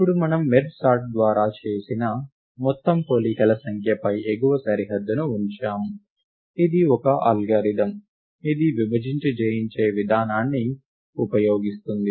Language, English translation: Telugu, Now, we have placed an upper bound on the total number of comparisons made by merge sort; which is an algorithm, which uses the divide and conquer approach